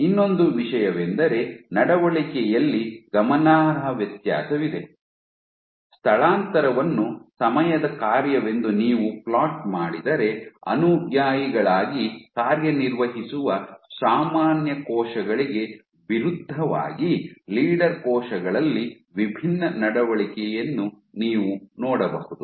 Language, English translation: Kannada, Another thing was there was a notable difference there was a notable difference if you think the behavior, if you plot the displacement as a function of time you could see different behavior for the leader cells and the as opposed to the general cells which served as the followers